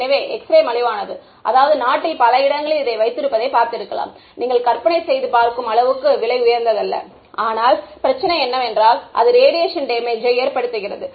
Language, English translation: Tamil, So, X ray is cheap I mean it is not that expensive you can imagine having it in many places in the country, but the problem is it has, it causes radiation damage